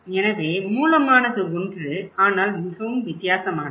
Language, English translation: Tamil, So, the event is same but the sources are different